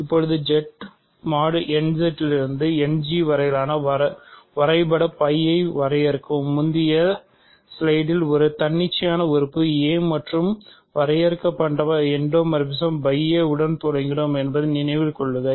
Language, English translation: Tamil, Now, define the map capital phi from Z mod n Z to End G, remember in the previous slide we started with an arbitrary element a and defined endomorphism phi sub a